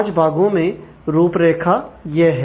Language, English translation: Hindi, So, this is the outline the 5 parts